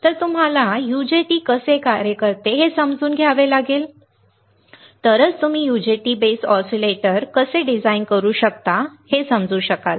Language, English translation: Marathi, So, you have to understand how the UJT works, then only you will be able to understand how you can how you can design an UJT base oscillator